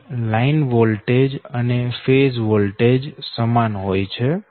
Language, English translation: Gujarati, delta is line and phase voltage same right